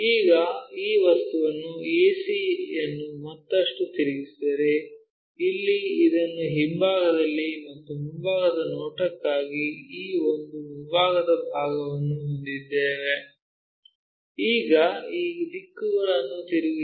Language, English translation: Kannada, Now, if we further rotate this object ac in such a way that, here we have this one at the back side and this one front side for the front view, now flip these directions